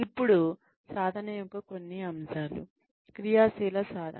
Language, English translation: Telugu, Now, some aspects of practice are active practice